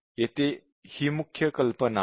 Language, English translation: Marathi, So, that is the main idea here